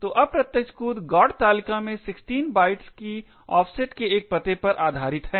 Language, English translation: Hindi, So, the indirect jump is based on an address at an offset of 16 bytes in the GOT table